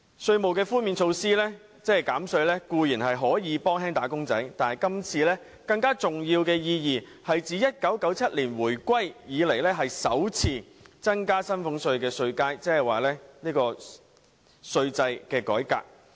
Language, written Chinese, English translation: Cantonese, 稅務寬免固然可以減輕"打工仔女"的負擔，但政府今次提出的其中一項措施有更重要的意義，就是自1997年香港回歸以來，首次增加薪俸稅稅階的稅制改革。, Tax relief can certainly alleviate the burden on wage earners but one of the measures proposed by the Government this time around has a more significant meaning for it represents the first tax reform to increase the number of tax bands for salaries tax since Hong Kongs return to China in 1997